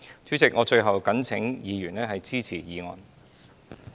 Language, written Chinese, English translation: Cantonese, 主席，我最後懇請議員支持議案。, President lastly I implore Members to support this motion